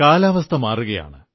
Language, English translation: Malayalam, The weather is changing